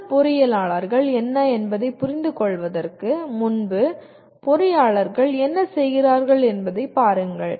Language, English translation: Tamil, Before we go and understand what are good engineers but actually look at what do engineers do